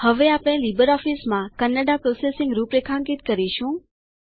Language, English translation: Gujarati, Now we will configure Kannada processing in LibreOffice